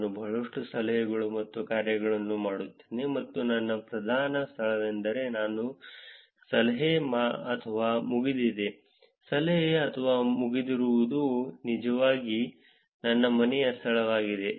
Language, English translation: Kannada, Which is I do a lot of tips and dones, but my predominant place where I do a tip or a done, tip or a done is actually my home location